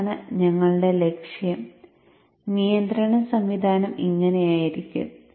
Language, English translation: Malayalam, So this is our objective and this is how the control system would look like